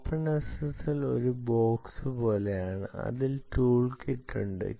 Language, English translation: Malayalam, openssl is nothing like a box which has a tool kit